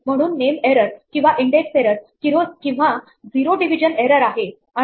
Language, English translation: Marathi, So, it is name error or an index error or a zero division error and